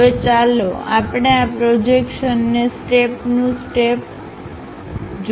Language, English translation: Gujarati, Now, let us look at these projections step by step